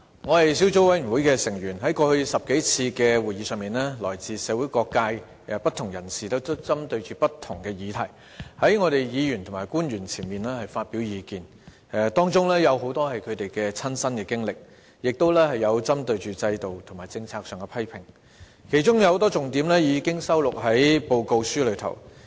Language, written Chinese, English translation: Cantonese, 我是小組委員會的成員，在過去10多次會議上，來自社會各界的不同人士針對不同議題，在立法會議員和官員面前發表意見，當中有很多是他們的親身經歷，亦有針對制度和政策的批評，其中有很多重點已經收錄在報告中。, I am a member of the Subcommittee . At the past 10 - odd meetings people from various sectors of society presented their views on different issues before Legislative Council Members and government officials many of which stemmed from their personal experience . There were also criticisms of the systems and policies